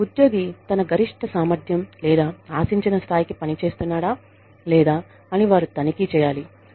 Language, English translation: Telugu, They should check, whether the employee is performing, to his or her maximum capacity, or expected level, or not